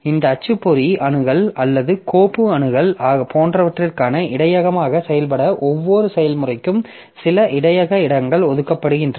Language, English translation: Tamil, So, some buffer space is allocated for every process to act as the buffer for this printer access or this file access etc